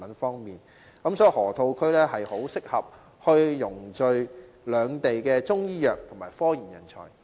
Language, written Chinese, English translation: Cantonese, 所以，河套區很適合匯聚兩地的中醫藥及科研人才。, Therefore the Loop is a suitable meeting place for talents specializing in Chinese medicine and in scientific research from the two cities